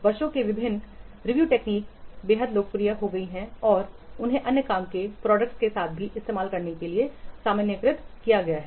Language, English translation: Hindi, Over the years, various review techniques have become extremely popular and they have been generalized to be used with other work products also